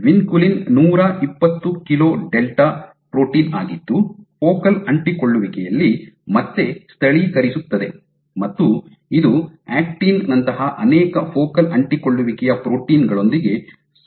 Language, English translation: Kannada, So, vinculin is a 120 kilo delta protein again localizing at focal adhesions, again it interacts with many focal adhesions proteins actin